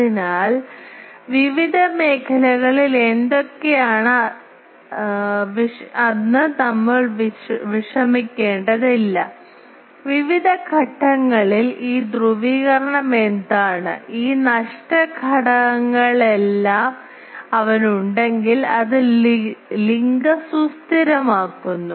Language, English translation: Malayalam, , at various points, what is that polarization that if he has all these loss factors, which are simply stabilize the link